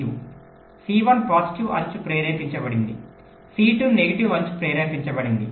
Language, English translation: Telugu, c one is a positive edge triggered, c two is a negative edge triggered